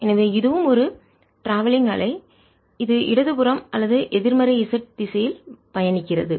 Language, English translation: Tamil, so this is also a travelling wave which is travelling to the left or to the negative z direction